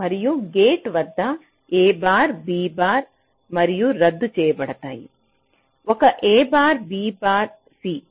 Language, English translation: Telugu, so a bar b, bar, and ab will cancel out a bar b, bar, c